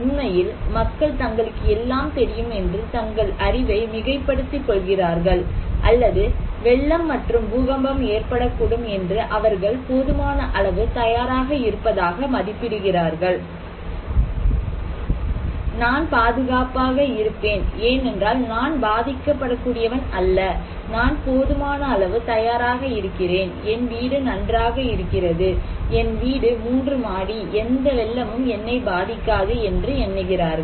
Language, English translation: Tamil, Actually, people overestimate their knowledge that they know all, or people estimate that they are prepared enough that even flood will can earthquake will happen I will be safe because I am not that vulnerable, I am prepared enough, my house is good, my house is three storied, no flood can affect me